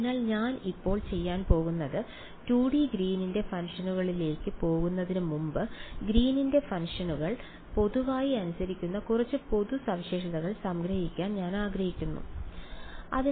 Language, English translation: Malayalam, So, what I will do now is before we go to 2 D Green’s functions I want to summarize a few general properties that Green’s functions obey in general ok